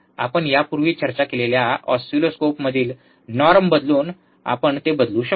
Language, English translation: Marathi, We can change the it by changing the norm in the oscilloscope, that we have already discussed